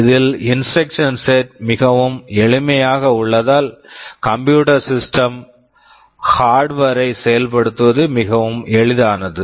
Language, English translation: Tamil, Here the instruction set is made very simple, and so it is much easier to implement the computer system in hardware